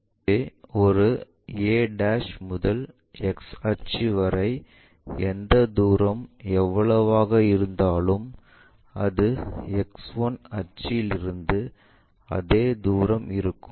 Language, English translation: Tamil, So, a' to X axis whatever the distance, the same distance from X 1 axis so, this distance and this distance one and the same